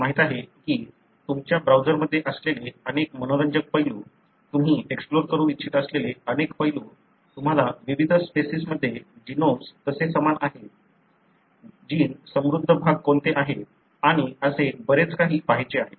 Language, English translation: Marathi, Lot of, you know, interesting aspects that you have in the browser, a large number of aspects that you want to explore, you want to look into the how genomes are similar between different species, what are the gene rich regions and so on and what I am going is, giving you is an example for a particular gene